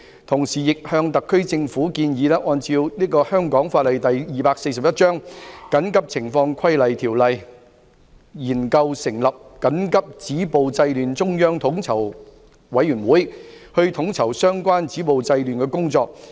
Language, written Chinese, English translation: Cantonese, 同時亦向特區政府建議，根據香港法例第241章《緊急情況規例條例》，研究成立緊急止暴制亂中央統籌委員會，統籌相關止暴制亂的工作。, Meanwhile it is recommended that the SAR Government study the forming of a central coordinating committee on stopping violence and curbing disorder under the Emergency Regulations Ordinance Cap . 241 to coordinate the efforts at stopping violence and curbing disorder